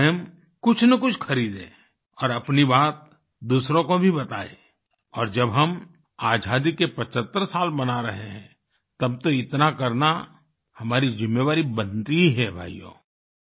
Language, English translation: Hindi, Do purchase something or the other and share your thought with others as well…now that we are celebrating 75 years of Independence, it of course becomes our responsibility